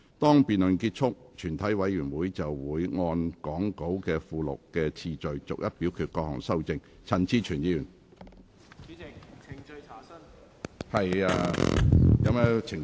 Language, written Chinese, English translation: Cantonese, 當辯論結束後，全體委員會會按講稿附錄的次序，逐一表決各項修正案。, After the debate the committee will vote on each of the amendments in the order as set out in the Appendix to the Script